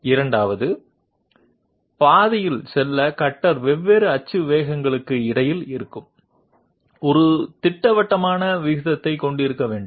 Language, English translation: Tamil, Second, in order to move along the path the cutter has to have a definite ratio existing between the different axis velocities